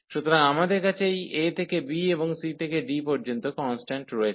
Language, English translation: Bengali, So, we have these constant numbers a to b, and there also c to d